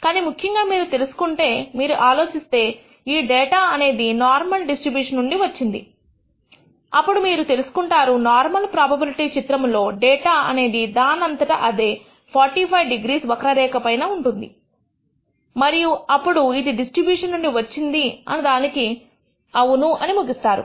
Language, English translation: Telugu, But typically if you find if you think that this data comes from the normal distribution, then you will find that in the normal probability plot the data will align itself on the 45 degree line and then you can conclude yes that the data has come from the distribution